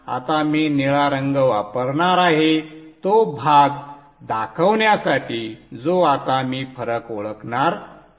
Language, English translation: Marathi, I am going to use the blue color to show the portions at which now I am going to introduce the differences